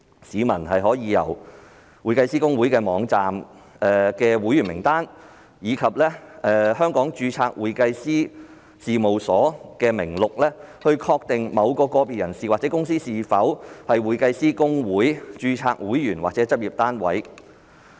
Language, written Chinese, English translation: Cantonese, 市民可從公會網站的會員名單及香港註冊會計師事務所名錄，確定某個別人士或公司是否公會註冊會員或執業單位。, Whether or not an individual or a company is an HKICPA - registered member or practice unit can be ascertained from the membership list and the Hong Kong CPA Practice Directory on the HKICPA website